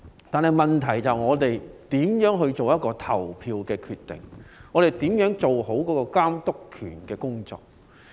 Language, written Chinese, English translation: Cantonese, 但問題是我們如何作出投票決定，如何做好監督的工作。, But the problem is how we make our decisions on voting and how we perform the monitoring role